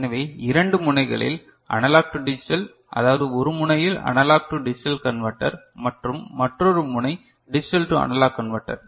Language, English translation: Tamil, So, at two ends we will be having analog to digital I mean, in one end analog to digital converter and another end digital to analog converter ok